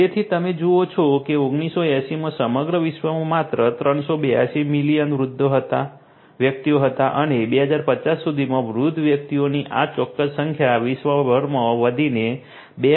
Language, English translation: Gujarati, So, you see that 1980, it was only 382 million elderly persons all over the world and by 2050, this particular number of elderly persons is expected to grow to 2